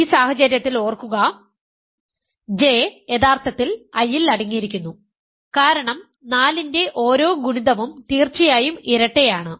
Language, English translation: Malayalam, Remember in this case, J is actually contained in I because every multiple of 4 is definitely even